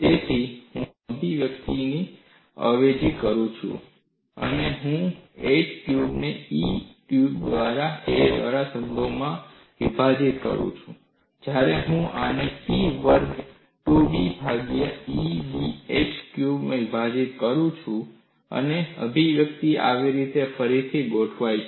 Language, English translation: Gujarati, So, when I substitute these expressions, when I differentiate 8a cube divided by EBh cube with respect to a, I get this as P square 24 a square divided by 2 B into EBh cube, and the expression is recast in this fashion